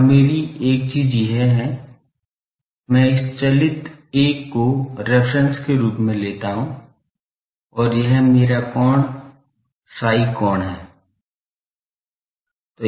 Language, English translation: Hindi, And my thing is I take the, this driven 1 as a reference and this angle is my psi angle ok